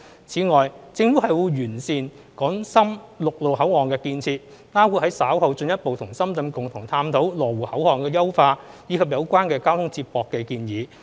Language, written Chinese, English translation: Cantonese, 此外，政府會完善港深陸路口岸建設，包括於稍後進一步與深圳共同探討羅湖口岸的優化，以及有關交通接駁的建議。, In addition the Government will improve the infrastructure of land boundary control points between Hong Kong and Shenzhen which includes exploring with Shenzhen the enhancement of the Lo Wu control point in due course and studying the proposals on transport link